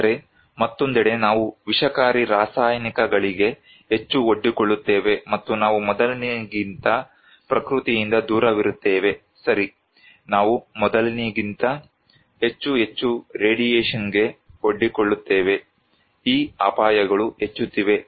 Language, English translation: Kannada, But, on the other hand, we are more exposed to toxic chemicals and we are far away from nature than before, right, we are more and more exposed to radiation than before so, these risks are increasing